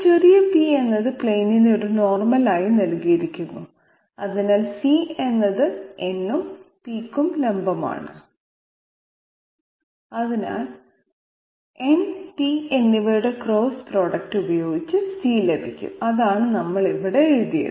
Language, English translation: Malayalam, And we have designated small p as a normal to the plane, so C is perpendicular to to n and C is also perpendicular to p, which means that C can be obtained by cross product of n and p and that is what we have written here